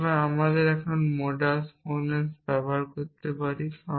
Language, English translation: Bengali, So, I can using modus ponens